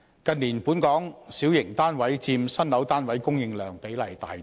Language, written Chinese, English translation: Cantonese, 近年，本港小型單位佔新樓單位供應量比例大增。, In recent years the ratio of newly - built small flats in Hong Kong has increased significantly